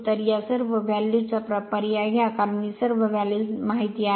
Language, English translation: Marathi, So, substitute all this value because, all this values are known right